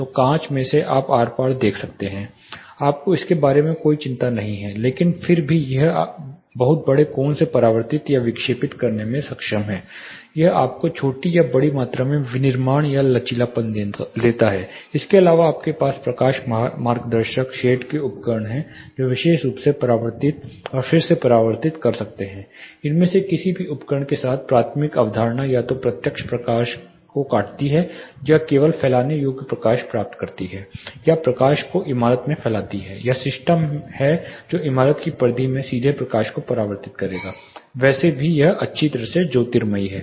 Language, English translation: Hindi, So, the glass itself is like a see through glass you do not have any concerns about it, but still it is able to reflect or deflect through a very large angle it also gives you flexibility of manufacturing in small or large quantities, apart from this you have light guiding shades simple devices which can specifically, reflect and re reflect the primary concept with any of these devices is either it cuts the direct light diffuses or gets only the diffuse light or diffuses the light itself into the building or there are systems which will reflect the direct light into the interiors of the building periphery anyway is getting well lit